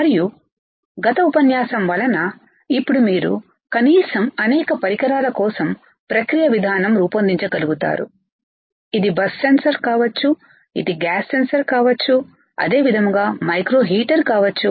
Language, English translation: Telugu, And also with the earlier lecture now you are at least able to design the process flow for several devices right, it can be a bus sensor, it can be a gas sensor right same way it can be a micro heater right